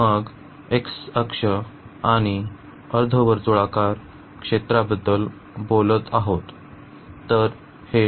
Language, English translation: Marathi, And then the x axis and we are talking about the semi circular region